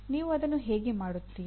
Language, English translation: Kannada, How can you do that